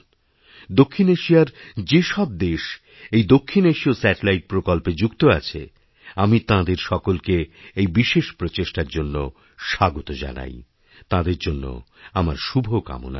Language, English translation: Bengali, I welcome all the South Asian countries who have joined us on the South Asia Satellite in this momentous endeavour…